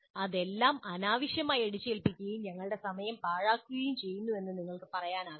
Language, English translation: Malayalam, You cannot say that this is all an unnecessary imposition wasting our time